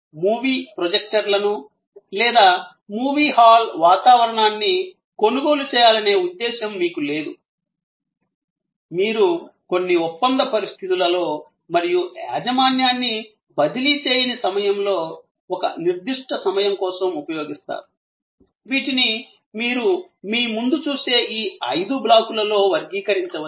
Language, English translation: Telugu, You have no intention of buying movie projectors or the movie hall ambience, you use it for a certain time and a certain contractual conditions and this non transfer of ownership, which can be categorized in these five blocks that you see in front of you